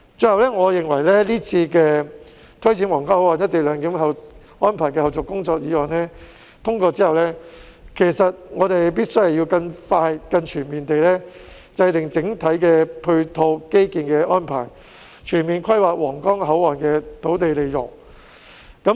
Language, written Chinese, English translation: Cantonese, 最後，我認為這項有關推展皇崗口岸「一地兩檢」安排的後續工作的議案通過後，我們必須更快、更全面地制訂整體的基建配套安排，全面規劃皇崗口岸的土地利用。, Lastly I hold that upon passage of this motion on taking forward the follow - up tasks of implementing co - location arrangement at the Huanggang Port we must formulate the overall infrastructure support arrangements in a more expeditious and comprehensive manner and conduct overall planning of land use in relation to the Huanggang Port